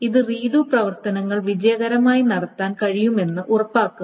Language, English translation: Malayalam, So this ensure that the redo operations can be done successfully